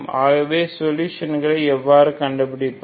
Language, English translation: Tamil, So how do I find the solution